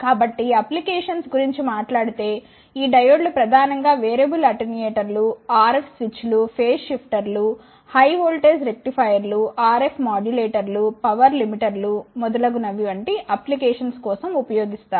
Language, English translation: Telugu, So, if I talk about the applications these diodes are mainly used for the applications like in ah ah variable attenuators RF switches phase shifters high voltage rectifiers, RF modulators power limiters etcetera